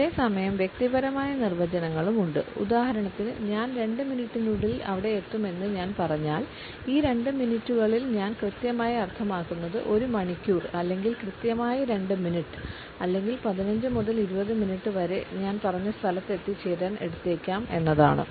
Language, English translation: Malayalam, And at the same time there are personal definitions also for example, if I say I would be there within 2 minutes then what exactly I mean by these 2 minutes would it be 1 hour or exactly 2 minutes or maybe somewhere around 15 to 20 minutes